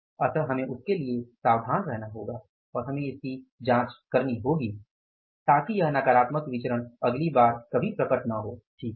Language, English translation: Hindi, So, we will have to be careful for that and we will have to check it so that this negative variance never appear next time